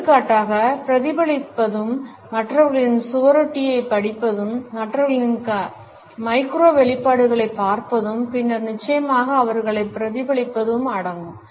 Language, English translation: Tamil, Certain other steps include mirroring for example, is studying the poster of other people, looking at the micro expressions of other people and then certainly mimicking them